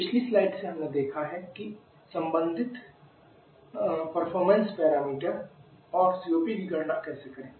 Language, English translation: Hindi, From the previous slide we have seen how to calculate the corresponding performance para meter and also the COP